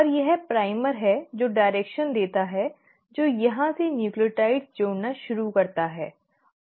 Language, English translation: Hindi, And it is the primer which gives the direction that start adding nucleotides from here and that is exactly what happens